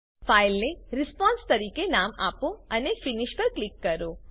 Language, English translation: Gujarati, Name the file as response, and click on Finish